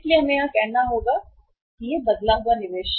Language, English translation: Hindi, So we will have to work out this say changed investment